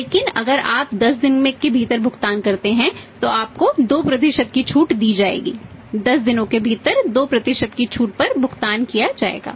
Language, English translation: Hindi, But if you make the payment within 10 days you will be given 2% discount, 2 by 10 payment within 10 days 2% discount